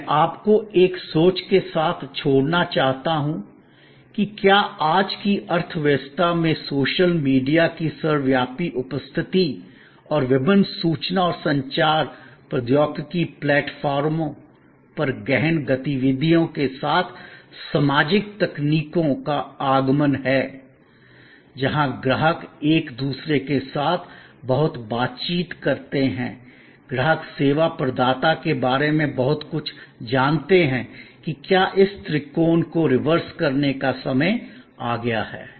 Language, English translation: Hindi, And in this, we have I would like to leave you with a thought, that whether in today's economy with an advent of social technologies with the ubiquitous presence of social media and intense activities on various information and communication technology platforms, where customers interact a lot more with each other, customers know lot more about the service provider whether a time has come to reverse this triangle